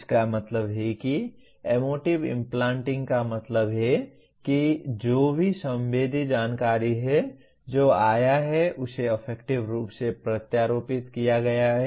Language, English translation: Hindi, That means emotive implanting means that whatever that has sensory information that has come it has been emotively implanted